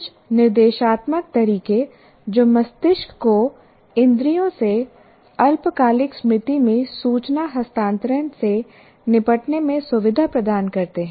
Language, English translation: Hindi, Some of the instructional methods that facilitate the brain in dealing with information transfer from senses to short term memory